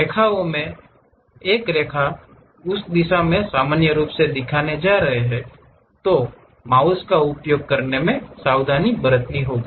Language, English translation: Hindi, One of the line is is going to show it in normal to that direction you have to be careful in using mouse